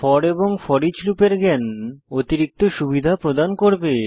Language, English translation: Bengali, Knowledge of for and foreach loops in Perl will be an added advantage